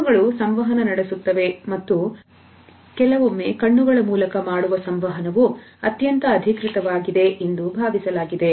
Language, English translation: Kannada, Eyes communicate and sometimes you would find that the communication which is done through eyes is the most authentic one